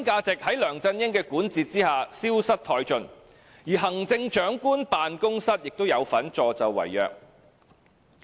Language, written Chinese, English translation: Cantonese, 在梁振英的管治之下，核心價值消失殆盡，而行政長官辦公室亦有份助紂為虐。, Under the governance of LEUNG Chun - ying our core values have vanished and the Chief Executives Office has been an accessory to it